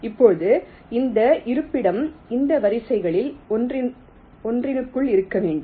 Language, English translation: Tamil, now that location itself, we have to be ah, ah, within one of those rows